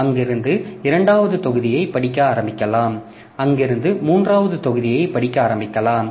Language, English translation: Tamil, So, from there it can start reading the second block, from there it can start reading the third block